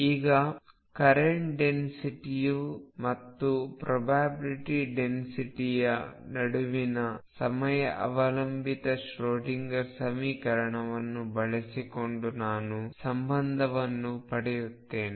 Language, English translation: Kannada, And then we defined the current or to we more precise probability current density using time dependent Schroedinger equation